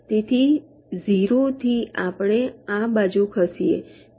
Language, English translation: Gujarati, so from zero we can move this side